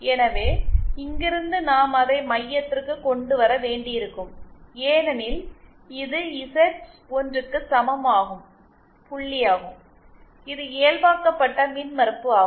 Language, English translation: Tamil, So, from here we will have to bring it to the centre because this is the point corresponding to Z equal to 1, this is a normalised impedance